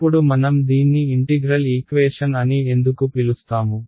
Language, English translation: Telugu, Now why do we call it an integral equation